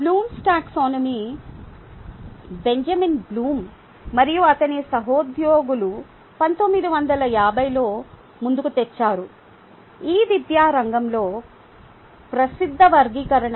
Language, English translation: Telugu, and blooms taxonomy ah is put forward by benjamin bloom and his coworkers in nineteen fifties, which is a ah popular taxonomy in the education ah field